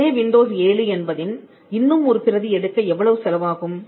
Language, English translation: Tamil, How much does it cost anyone to make another copy of windows 7